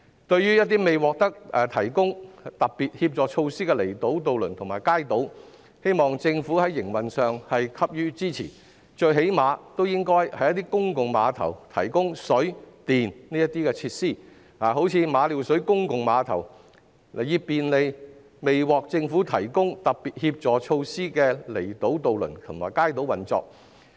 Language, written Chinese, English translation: Cantonese, 對於一些未獲提供特別協助措施的離島渡輪及街渡，我希望政府能在營運上給予支持，最少限度應該在公共碼頭提供水電設施，例如馬料水公共碼頭，以便利未獲得政府提供特別協助措施的離島渡輪及街渡的運作。, In respect of those outlying island ferries and kaitos which have not been provided with the Special Helping Measures I hope the Government will give them operational support . At least it should provide water and electricity facilities at public piers such as Ma Liu Shui Public Pier to facilitate the operation of outlying island ferries and kaitos which are not provided with the Governments Special Helping Measures